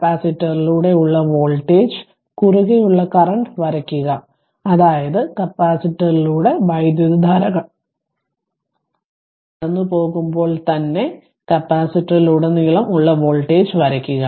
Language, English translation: Malayalam, Those sketch the voltage across and current through the capacitor; that means, you have to sketch the voltage across the capacitor as soon as current passing through the capacitor this you have to sketch right